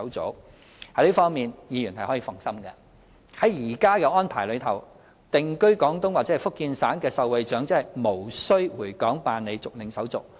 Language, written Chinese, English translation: Cantonese, 在這方面，議員可以放心。按現行安排，定居廣東或福建省的受惠長者無須回港辦理續領手續。, In this regard Members can rest assured that under the existing arrangements the elderly recipients residing in Guangdong or Fujian Provinces need not return to Hong Kong for going through the formalities for continuous collection of the benefits